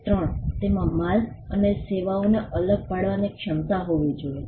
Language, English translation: Gujarati, 3, it should have the capacity to distinguish goods and services